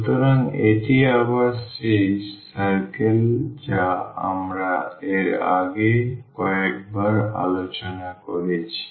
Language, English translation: Bengali, So, this is again the circle which we have discussed a couple of times before